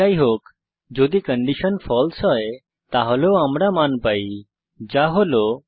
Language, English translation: Bengali, Anyhow if the condition is false then also we will get a value that is 0